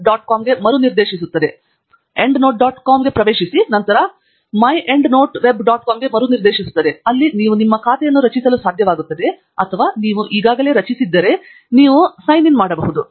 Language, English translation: Kannada, com where you will be able to create your account or if you already have created then you can sign in